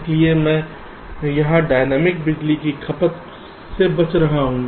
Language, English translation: Hindi, so i am avoiding dynamic power consumption here